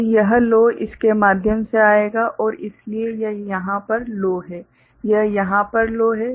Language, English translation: Hindi, So, this low will come through this and so, this is low over here, this is low over here